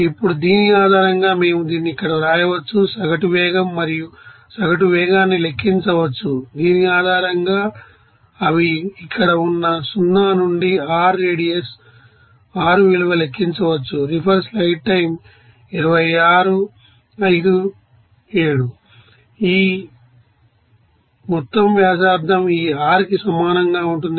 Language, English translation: Telugu, Now, based on this, we can write here this, you know average velocity and that average velocity can be you know calculated, you know based on this, you know, new r value within integral of 0 to you know r radius they are here